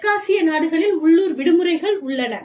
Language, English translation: Tamil, South Asian countries, there are local holidays